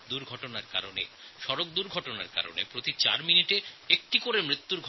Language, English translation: Bengali, Due to these road accidents we are witnessing one death every four minutes in our country